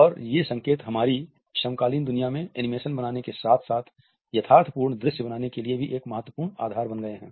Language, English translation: Hindi, And these cues have become an important basis for creating convincing visuals as well as creating animations in our contemporary world